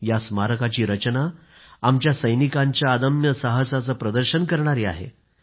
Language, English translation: Marathi, The Memorial's design symbolises the indomitable courage of our immortal soldiers